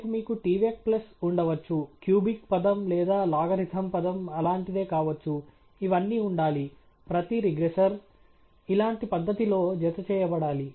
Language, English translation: Telugu, Tomorrow you may have tvec plus may be cubic term or a logarithm term something like that; all of that has to be each regressor has to be encased in a similar fashion like this alright